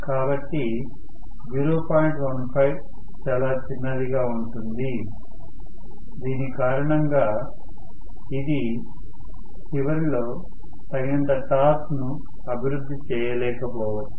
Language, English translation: Telugu, 15 becomes extremely small because of which it may not be able to develop enough torque at the end of this, right